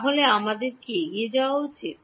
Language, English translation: Bengali, So, should we proceed